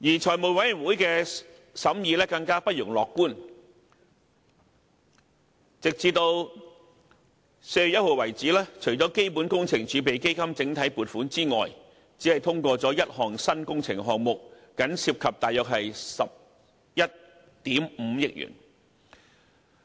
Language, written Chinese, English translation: Cantonese, 財委會的審議更不容樂觀，直至4月1日為止，除了基本工程儲備基金整體撥款之外，只通過了1項新工程項目，僅涉及約11億 5,000 萬元。, The scrutiny of the Finance Committee is even less encouraging . As at 1 April besides the block allocation under CWRF only one new project proposal amounting to 1.15 billion was passed